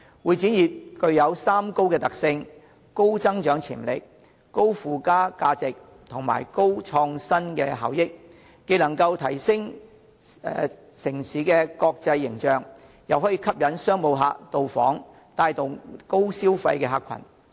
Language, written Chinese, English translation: Cantonese, 會展業具有三高的特性：高增長潛力、高附加價值及高創新效益，既能提升城市的國際形象，又可以吸引商務旅客到訪，帶動高消費的客群。, The convention and exhibition industry is characterized by three highs high growth potential high added - values and highly innovative benefits . Not only can the industry improve the international image of the city but can also attract business visitors with high - spending power